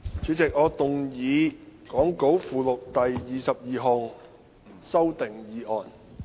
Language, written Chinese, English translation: Cantonese, 主席，我動議講稿附錄的第22項修訂議案。, President I move the 22 amending motion as set out in the Appendix to the Script